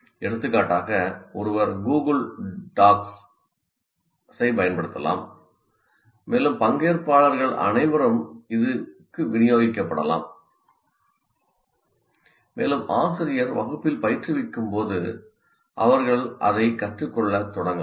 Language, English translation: Tamil, For example, one can use what you can call as Google Docs and it can be given to all the participants and they can start working on it while the teacher is presenting in the class